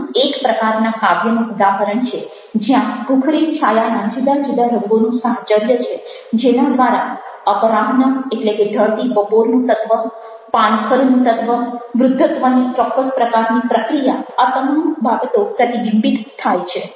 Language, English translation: Gujarati, through an association of colors, different colors which are in gray scale, the element of afternoon, the element of autumn, the element of certain kind of ageing, all these are reflected